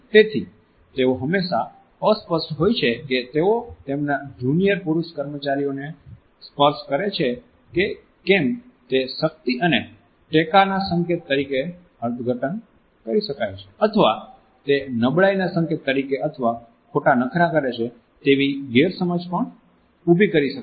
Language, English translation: Gujarati, So, they are often unsure whether they are touch to their junior male employees may be interpreted as an indication of power and support or it may be misconstrued as an indication of either weakness or even of flirtatious attitudes